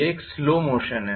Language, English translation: Hindi, It is a slow motion